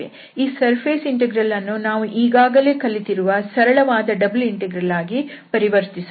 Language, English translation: Kannada, So this surface integral is converted to the simple double integral, which we studied already